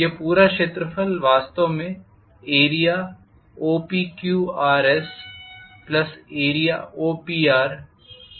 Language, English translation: Hindi, This entire area is actually area OPQRS plus area OPR minus area OQS